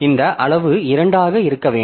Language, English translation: Tamil, So, this size should be two